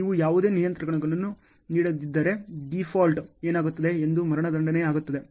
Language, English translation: Kannada, If you do not give any controls, default what happens this is what is the execution that will happen ok